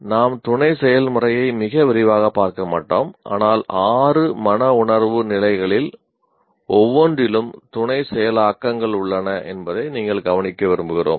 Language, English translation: Tamil, We will not go through the sub process in great detail but just you would like to like you to note that there areprocesses in each one of the six affective levels